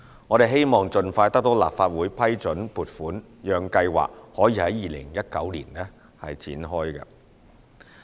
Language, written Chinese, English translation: Cantonese, 我們希望盡快得到立法會批准撥款，讓計劃可以在2019年展開。, We hope to get the funding approval by the Legislative Council soon so as to launch this Scheme in 2019